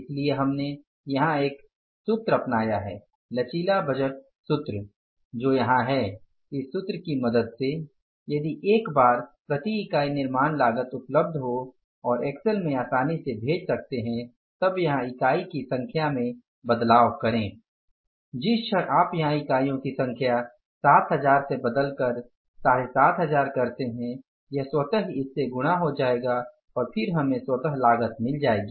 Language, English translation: Hindi, So, with the help of this formula, now once this per unit manufacturing cost is available and it is put in the Excel so you can easily put change the number of units here, the moment you change the number of units here from 7,000 to maybe 7,500s this will automatically get multiplied by this and then we will get automatically the cost